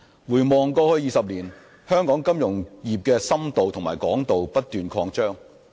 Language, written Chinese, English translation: Cantonese, 回望過去20年，香港金融業的深度和廣度不斷擴展。, The financial sector of Hong Kong has been expanding both in depth and width over the past 20 years